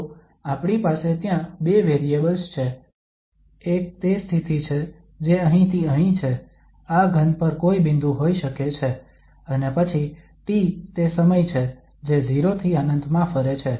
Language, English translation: Gujarati, So we have 2 variables there, one is the position which is from here to here, can be any point on this solid, and then t is the time which is varying from 0 to whatever infinity